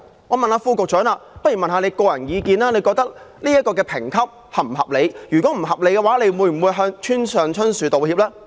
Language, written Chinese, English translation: Cantonese, 我想問局長的個人意見，他認為審裁處的評級是否合理；如果不合理，他會否向村上春樹道歉？, May I ask the Secretary if he personally finds OATs classification reasonable; if so will he apologize to Haruki MURAKAMI?